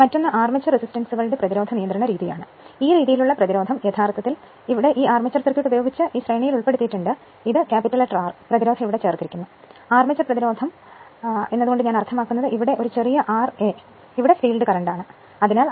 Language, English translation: Malayalam, Another is the that armature resistors resistance control method, in this method resistance actually here, it is inserted in series with the armature circuit with this is your R this is your R that resistance is inserted here and armature resistance I mean, it is your R a small r a right and this is the field current here nothing is there